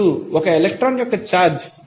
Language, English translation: Telugu, Now,since you know that the charge of 1 electron is 1